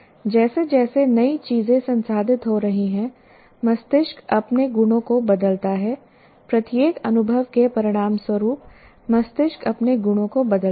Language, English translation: Hindi, And as new things are getting processed, the brain changes its own properties as a result of every experience, the brain changes its own properties